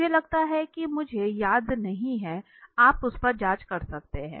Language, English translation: Hindi, I think I do not remember you can check on that